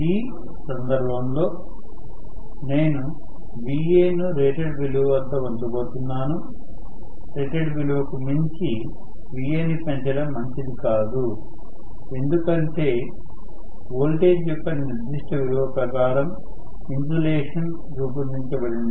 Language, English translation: Telugu, In this case I am going to have actually Va frozen at rated value, it is not good to increase Va beyond rated value because the insulation are designed for a particular value of voltage